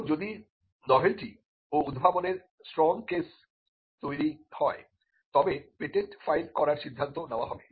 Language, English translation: Bengali, Now, if there is a strong case of novelty and inventiveness that is made out, then a decision to file a patent will be made